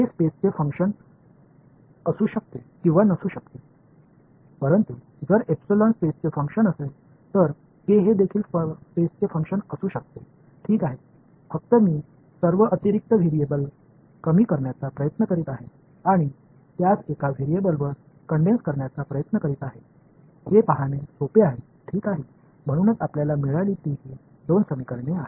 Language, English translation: Marathi, K may or may not be a function of space, but if like epsilon is a function of space, then k will also be a function of space ok, just a I am trying to reduce all the extra variables and condense them to one variable, so that is easy to see alright, so these are the two equation that we have got